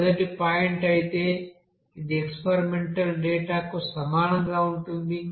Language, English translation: Telugu, Whereas the first point, it is exactly the same as with the experimental data